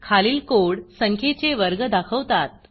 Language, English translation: Marathi, The following code displays the square of the numbers